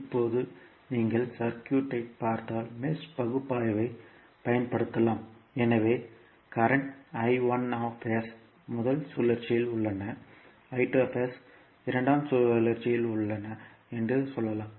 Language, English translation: Tamil, Now, if you see the circuit you can utilize the mesh analysis so let us say that the current I1s is in the first loop, I2s is in loop 2